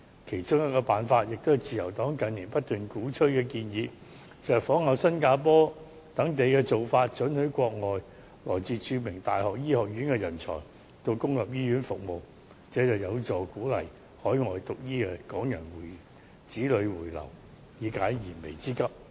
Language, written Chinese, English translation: Cantonese, 其中一個辦法，也是自由黨近年不斷鼓吹的建議，就是仿效新加坡等地的做法，准許國外來自著名大學醫學院的人才到公立醫院服務，這將有助鼓勵於海外修讀醫科的港人子女回流，以解燃眉之急。, As the Liberal Party has been advocating in recent year that one of the solutions is to follow the examples of Singapore and other places in permitting talents graduated from renown overseas universities to work in public hospitals . That will help us to encourage children of Hong Kong people who have studied medicine to return to Hong Kong and to deal with our pressing problem